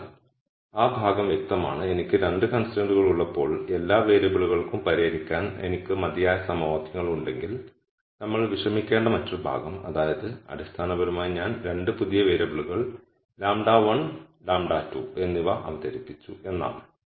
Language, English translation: Malayalam, So, that part is clear the other part that we need to worry about is if I have enough equations to solve for all the variables when I have 2 constraints, that basically means I have introduced 2 new variables lambda 1 and lambda 2